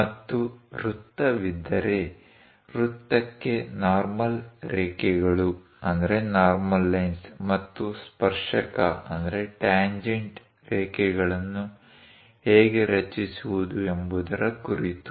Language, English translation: Kannada, And if there is a circle how to construct normal lines and tangent lines to the circle